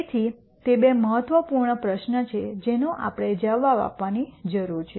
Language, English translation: Gujarati, So, those are two important questions that we need to answer